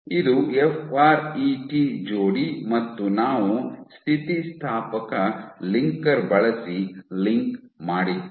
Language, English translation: Kannada, So, this is a FRET pair and we still linked using an elastic linker